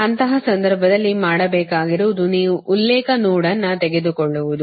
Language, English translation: Kannada, in that case what you have to do is that you take a reference node